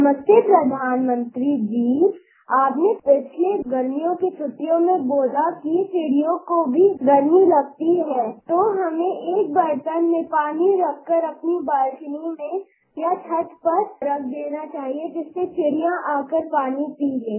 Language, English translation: Hindi, Namaste dear Prime Minister, you had said during the last summer holidays that even birds feel the summer heat so we should fill a bowl with water and place it in the balcony or the terrace so that the birds can come to have water